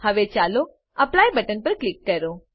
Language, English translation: Gujarati, Now let us click on Apply button